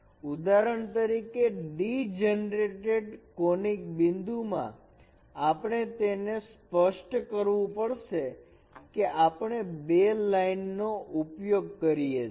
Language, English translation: Gujarati, For example in a degenerate point conic we have to we have to specify it using two lines